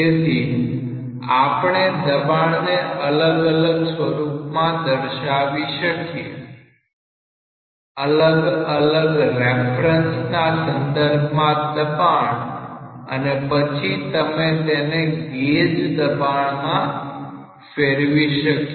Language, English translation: Gujarati, So, you can as well prescribe the pressures in the different terms in terms of a reference pressure and then you can substitute as gauge pressure